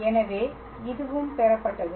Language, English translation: Tamil, So, I will obtain